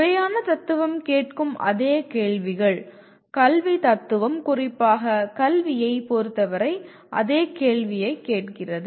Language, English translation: Tamil, The same questions that formal philosophy asks; educational philosophy asks the same question specifically with respect to the education